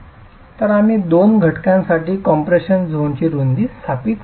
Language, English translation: Marathi, So, we have established the width of the compressed zone for the two situations